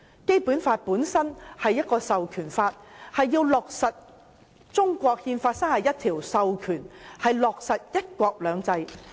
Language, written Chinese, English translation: Cantonese, 《基本法》本身是一項授權法，為要落實《中華人民共和國憲法》第三十一條，授權香港落實"一國兩制"。, The Basic Law is a piece of legislation enabling the implementation of Article 31 of the Constitution of the Peoples Republic of China authorizing Hong Kong to implement one country two systems